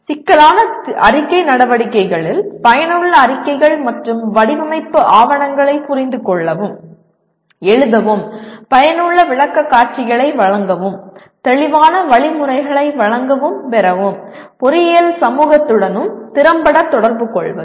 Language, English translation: Tamil, Communicate effectively on complex engineering activities with the engineering community and with society at large such as being able to comprehend and write effective reports and design documentation, make effective presentations and give and receive clear instructions